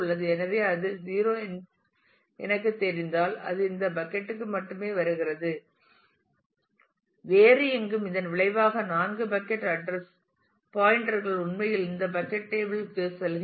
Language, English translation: Tamil, So, if I know that it is 0 then it comes to only this bucket and nowhere else consequently all these 4 bucket address pointers actually go to this bucket table